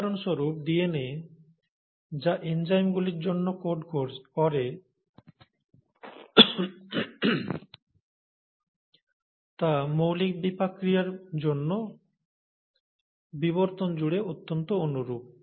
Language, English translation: Bengali, For example, the DNA which will code for enzymes, for basic metabolic reactions are highly similar across evolution